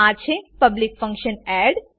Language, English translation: Gujarati, This is a public function add